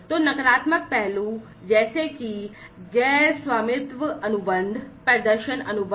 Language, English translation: Hindi, So, negative aspects such as non ownership contracts, performance contracts